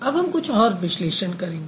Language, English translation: Hindi, So, now let's do some analysis